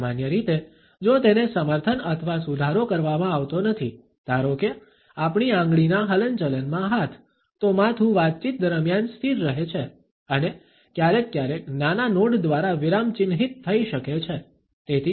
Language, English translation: Gujarati, Normally, if it is not supported or modified by let us say hand in finger movements, the head remains is still during the conversation and may be punctuated by occasional small nods